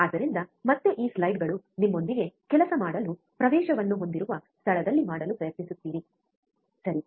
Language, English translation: Kannada, So, again this slides are with you you try to do at wherever place you have the access to work on this, right